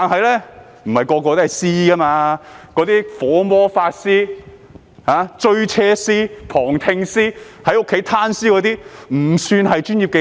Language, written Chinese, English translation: Cantonese, 那些"火魔法師"、"追車師"、"旁聽師"或在家"攤屍"的都不算是專業技能。, Being fire magicians chasing after vehicle observing court proceedings or lying idly at home cannot be regarded as professional capabilities